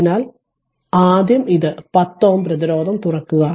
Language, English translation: Malayalam, So, first you take it take 10 ohm resistance open